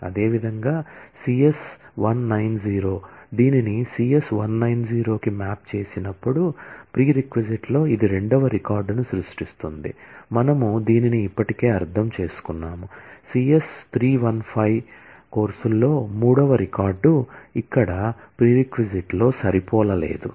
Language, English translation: Telugu, Similarly, CS 190, when it is mapped to the CS 190, in the prereq, it will generate the second record, we have already understood this, the third record in the courses CS 315 has no match here in prereq